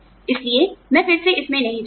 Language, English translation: Hindi, So, I will not go into it, again